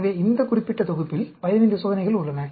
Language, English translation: Tamil, So, there are 15 experiments in this particular set